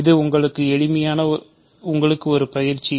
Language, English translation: Tamil, So, this is an exercise for you